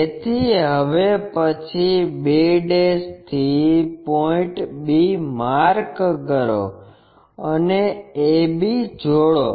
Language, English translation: Gujarati, So, the step goes from b ' locate point b and join a b